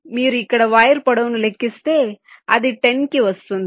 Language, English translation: Telugu, so if you just calculate the wire length here, so it comes to ten